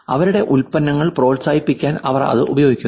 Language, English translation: Malayalam, They are kind of using it to promote their products